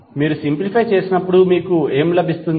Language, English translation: Telugu, When you simplify, what you will get